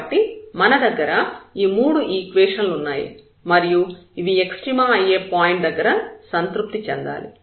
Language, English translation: Telugu, So, we have these 3 equations which has to be satisfied at the point of extrema there